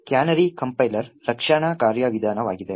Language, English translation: Kannada, So, canary is a compiler defense mechanism